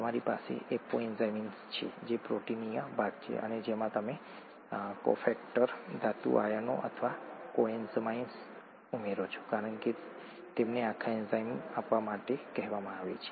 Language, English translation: Gujarati, You have an apo enzyme which is the proteinaceous part and to which you add a cofactor, metal ions or coenzymes as they are called to give the whole enzyme, okay